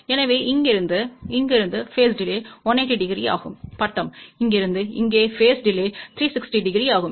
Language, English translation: Tamil, So, from here to here phase delay is 180 degree, from here to here phase delay is 360 degree